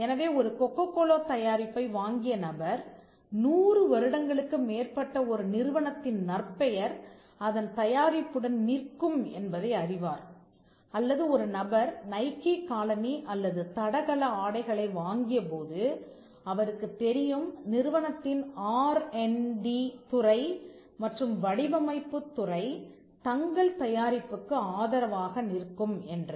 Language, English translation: Tamil, So, a person who brought a Coca Cola product would know that the reputation of a company that is more than 100 years old would stand by its product or when a person purchased a Nike shoe or an athletic apparel then, he would know that, the company’s R&D department and the design department would stand by the product and there is a reputation of the company, that has transferred through the brand